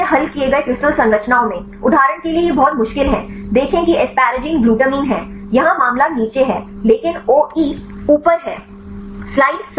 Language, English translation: Hindi, In fully resolved crystal structures, it is very difficult for example, see the asparagine are the glutamine here in case is down, but the OE is up